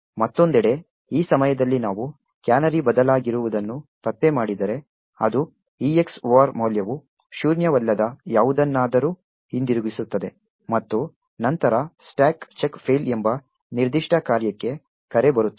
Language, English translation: Kannada, On the other hand, if at this point we detect that the canary has indeed changed it would mean that the EX OR value would return something which is non zero and then there would be a call to this particular function called stack check fail